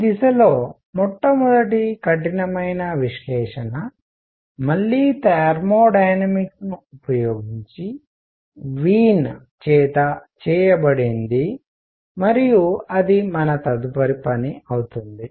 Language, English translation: Telugu, The first rigorous analysis in this direction, again using thermodynamics was done by Wien and that will be our next job to do